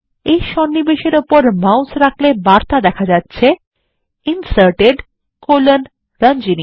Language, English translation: Bengali, Hovering the mouse over this insertion gives the message Inserted: Ranjani